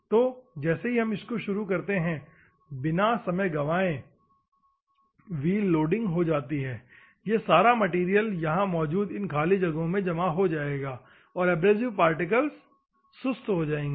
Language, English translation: Hindi, So, as soon as it starts within no time the wheel loading takes place, all this material will clog here in the gaps, and the abrasive particles will become dull